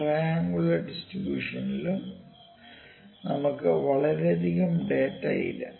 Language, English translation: Malayalam, For triangular distribution I can have something like this